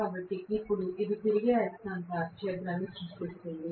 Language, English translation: Telugu, So, now this creates the revolving magnetic field